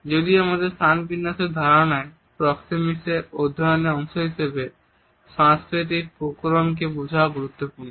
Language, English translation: Bengali, Though in our understanding of the space arrangements as a part of our studies of proxemics, the understanding of cultural variation is important